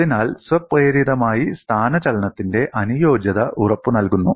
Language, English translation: Malayalam, So, automatically the compatibility of displacement is guaranteed